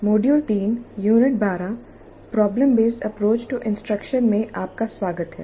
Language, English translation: Hindi, Greetings, welcome to module 3, Unit 12, problem based approach to instruction